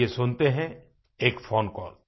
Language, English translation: Hindi, Come on, let us listen to a phone call